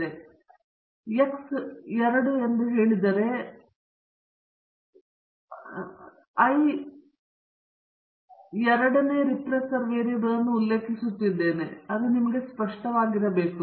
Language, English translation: Kannada, So, if I say X i 2 then I am referring to the ith run and the second regressor variable, I think now that should be clear to you